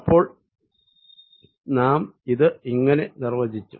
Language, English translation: Malayalam, so this we have defined